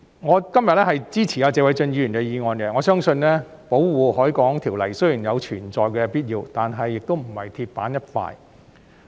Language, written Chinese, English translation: Cantonese, 我支持謝偉俊議員今天提出的議案，我相信《保護海港條例》雖然有存在的必要，但亦不是鐵板一塊。, I support the motion proposed by Mr Paul TSE today . I believe the Ordinance is necessary but it is not set in stone